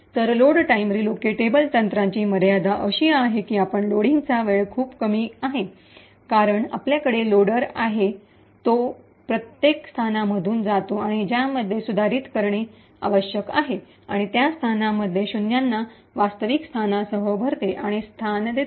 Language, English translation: Marathi, So, the limitations for the Load Time relocatable technique is that it has extremely slow Load time, since, essentially we have the loader which passes through each and every location which needs to be modified and fills and replaces the zeros in that location with the actual address